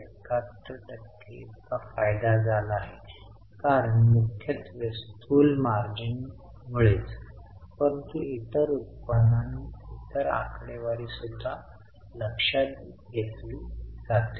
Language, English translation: Marathi, 71% as we know mainly because of gross margins but it also takes into account other income and other figures